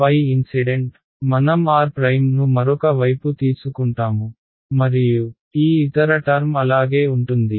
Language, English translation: Telugu, So, phi incident, I will take on the other side r prime and this other term remains as it is right